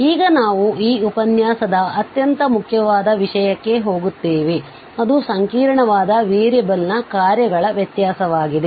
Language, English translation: Kannada, Now, we will move to the most important topic of this lecture that is actually the differentiability of functions of a complex variable